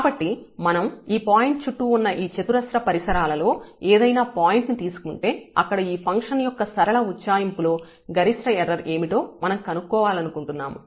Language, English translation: Telugu, So, if we take any point in this neighborhood square neighborhood around this point and what will be the maximum error in that linear approximation of this function we want to evaluate